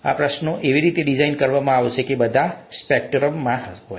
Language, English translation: Gujarati, These, questions would be designed such that they are all across the spectrum